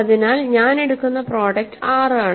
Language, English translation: Malayalam, So, and the product that I will take is 6